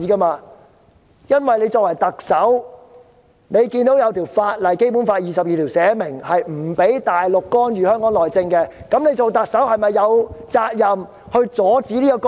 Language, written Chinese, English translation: Cantonese, "林鄭"作為特首，看到《基本法》第二十二條訂明大陸官員不能干預香港內政，她是否有責任阻止這些干預？, Being the Chief Executive seeing that Article 22 of the Basic Law explicitly stipulates that no Mainland officials may interfere with Hong Kongs internal affairs does she not have the duty to stop such interference?